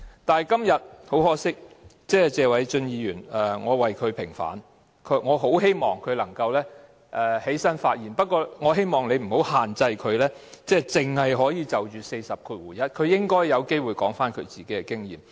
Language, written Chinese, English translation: Cantonese, 很可惜，今天我要為謝偉俊議員平反，我很希望他能夠站起來發言，但希望代理主席不要限制他只可就第401條發言，讓他有機會講述自己的經驗。, Sadly I have to vindicate Mr Paul TSE today . I really hope that he will rise to speak . Yet I wish the Deputy President will not limit him to only speak on RoP 401 but let him have a chance to relate his own experience